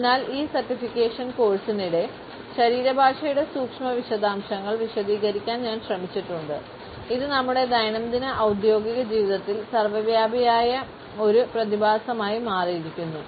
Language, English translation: Malayalam, So, during this certification course I have attempted to delineate the nuance details of body language which indeed has become an omnipresent phenomenon in our daily professional life